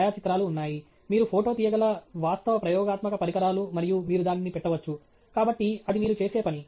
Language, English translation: Telugu, There are photographs actual experimental equipment you photograph and you put it up; so, that is something that you do